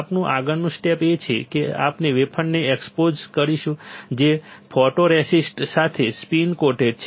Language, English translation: Gujarati, We will next step is we will expose wafer, which is spin coated with photoresist